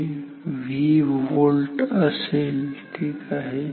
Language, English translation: Marathi, This will be V volt ok